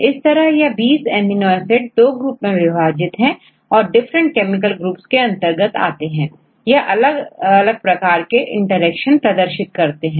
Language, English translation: Hindi, If 20 amino acid residues to classify two different groups, as well as they belong to different chemical groups due to the chemical groups, they form different types of interactions